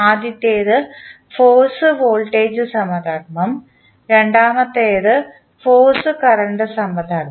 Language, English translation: Malayalam, First one is force voltage analogy and second is force current analogy